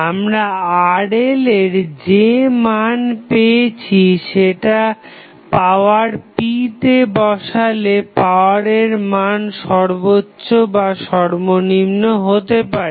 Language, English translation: Bengali, The Rl value what we get if you supply that value Rl into the power p power might be maximum or minimum